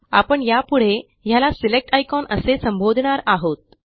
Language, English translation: Marathi, We will call this as the Select icon from now on